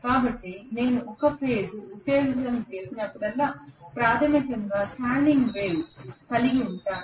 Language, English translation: Telugu, So I am going to have basically a standing wave produced whenever I have a single phase excitation